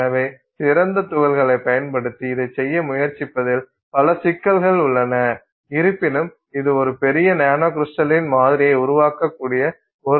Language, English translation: Tamil, So, multiple issues with trying to do this using fine powder particles although it appears that that's a way in which you could create a larger sample which is nano crystalline